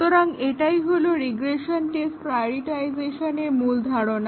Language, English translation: Bengali, So, that is the idea behind regression test prioritization